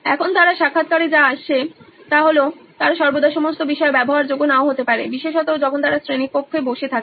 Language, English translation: Bengali, Now what they come up in the interviews is they might not be accessible to all the content at all times especially when they are sitting inside a classroom